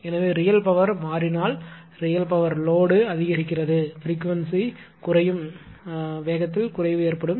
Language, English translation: Tamil, So, if real power changes, if you load increases I mean real power load increases, there will be a decrease in the speed that is decrease in frequency